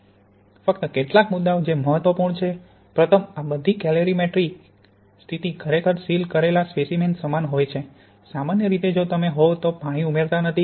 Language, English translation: Gujarati, Just the few points which are important, first of all this calorimetric condition is really equivalent to a sealed sample, generally if you are not adding any water